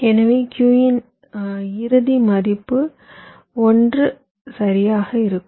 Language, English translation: Tamil, so the final value of q will be one right